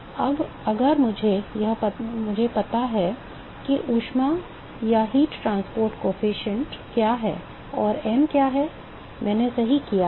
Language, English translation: Hindi, Now if I know what is the, what is the heat transport coefficient and what is m, I am done right